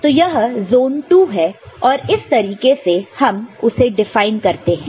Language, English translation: Hindi, So, this is the II zone how it can be defined, ok